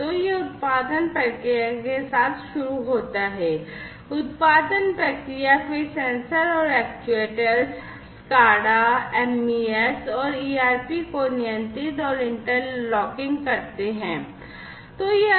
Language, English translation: Hindi, So, it starts with the production process; production process, then the sensors and the actuators control and interlocking SCADA, MES, and ERP